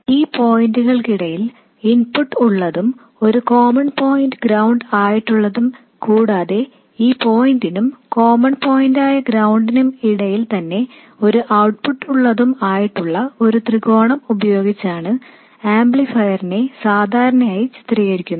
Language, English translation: Malayalam, An amplifier is usually represented by a triangle like this with an input between this point and the common point which is ground and an output which is also between this point and a common point which is ground